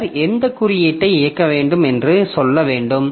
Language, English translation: Tamil, And then possibly you have to tell like which code it should execute